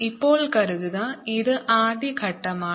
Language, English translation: Malayalam, now suppose this is step one